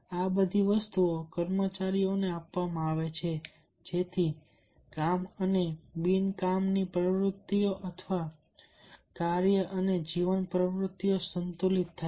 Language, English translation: Gujarati, so all these things are given to the employees so that the work and non work activities or work and life activities will be balanced in i